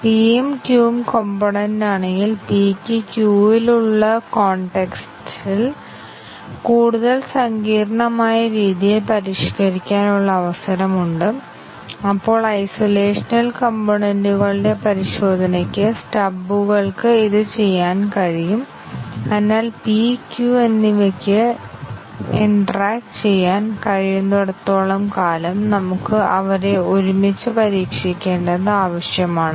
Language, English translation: Malayalam, If p and q are components, p has an opportunity to modify the contexts in by q in a more complex way then that could be done by stubs during testing of components in isolation and therefore, as long as p and q can interact we need to test them together